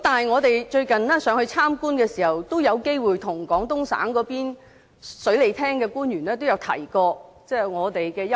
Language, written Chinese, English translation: Cantonese, 我們最近前往內地參觀的時候，有機會與廣東省水利廳的官員提到我們的憂慮。, During our recent visit to the Mainland we had the opportunity to relay our concern to the officials of the Water Resources Department of Guangdong Province